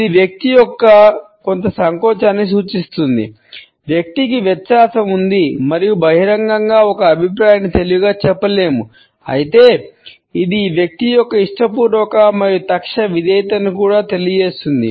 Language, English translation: Telugu, It indicates a certain hesitation on the part of the person, the person has diffidence and cannot openly wise an opinion, but nonetheless it also communicates a willing and immediate obedience on the part of this person